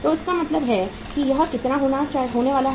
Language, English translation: Hindi, So it means how much it is going to be